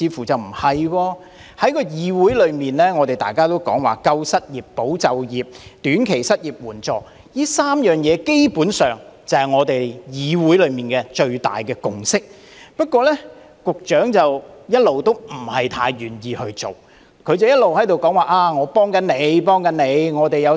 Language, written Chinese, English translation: Cantonese, 在議會內，大家也說要"救失業"、"保就業"及提供"短期失業援助"，基本上，這3件事情便是議會內的最大共識，但局長卻一直不太願意去做，只是一直說："幫緊你，幫緊你"。, In the legislature Members are calling for saving the unemployed retaining employment and providing short - term unemployment assistance and these three things are basically the major consensus of the legislature . Yet the Secretary has all along been reluctant to implement these measures . He keeps saying that Im helping you Im helping you